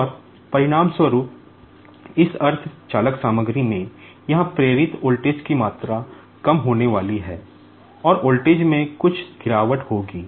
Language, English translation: Hindi, And, consequently, the amount of induced voltage here in this semi conductor material is going to be reduced, and there will be some drop in voltage